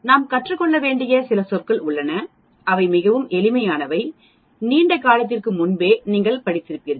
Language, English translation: Tamil, There are certain terminologies which we need to learn and they are quite simple you must have studied long time back also